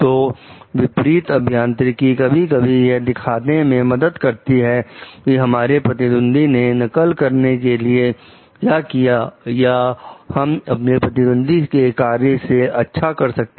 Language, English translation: Hindi, So, reverse engineering sometimes help us to show like what the competitor has done in order to copy or the improve under their competitor s work